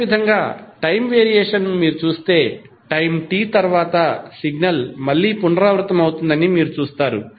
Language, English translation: Telugu, Similarly if you see the time variation you will see that the signal is repeating again after the time T